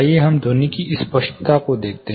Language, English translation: Hindi, Let us look at clarity of sound